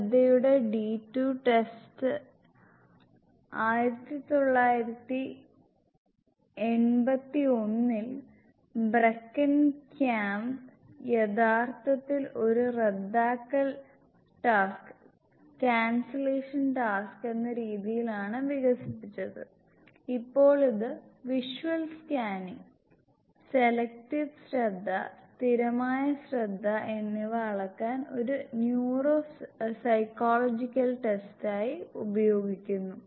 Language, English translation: Malayalam, The D2 test of attention was originally developed as a cancellation task, by bracken camp in 1981 now it is used as a neuropsychological test to measure visual scanning, selective attention and sustained attention